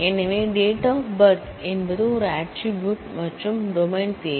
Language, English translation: Tamil, So, D o B is an attribute and the domain is date